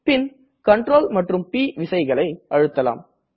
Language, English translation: Tamil, Then, press the keys Ctrl and P together